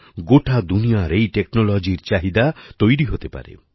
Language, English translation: Bengali, Demand for this technology can be all over the world